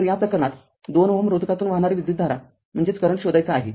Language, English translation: Marathi, So, in this case you have to find out what is that current through 2 ohm resistance